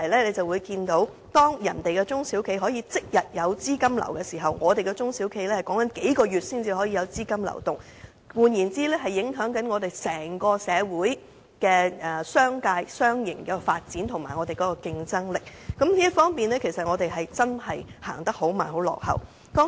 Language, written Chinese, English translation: Cantonese, 由此可見，當內地中小企能夠即日調動資金，而我們的中小企仍然要在數個月後才有資金流動時，這便會影響整個社會及商界的發展和競爭力，我們在這方面走得很慢、很落後。, From this we can see that while SMEs in the Mainland can use their funds on the same day our SMEs still have to wait for a few months before they can do so and this will affect the development of society and the business sector at large as well as our competitiveness . We are making very slow progress and suffering a serious lag in this respect